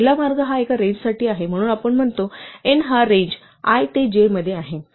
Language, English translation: Marathi, The first way is this for in a range, so we say for n in the range i to j